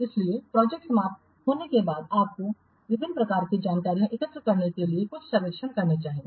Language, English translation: Hindi, So after the project is over, you should conduct some surveys to collect various types of information